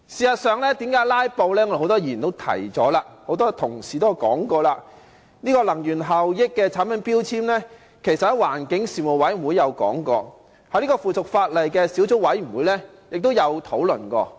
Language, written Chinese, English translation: Cantonese, 很多議員和同事也提過，電器產品的能源標籤其實曾在環境事務委員會討論，在附屬法例小組委員會也曾作討論。, As many Members and colleagues have said the energy efficiency labelling of electrical products had been discussed in the Panel on Environmental Affairs and also in the Subcommittee on the subsidiary legislation